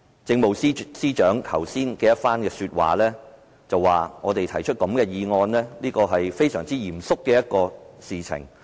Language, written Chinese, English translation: Cantonese, 政務司司長剛才說，我們提出這項議案是一件非常嚴肅的事。, The Chief Secretary for Administration has just said that moving this motion is a very serious matter